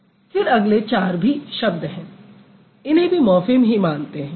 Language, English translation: Hindi, Then the other four, there are also words, they are also considered as morphemes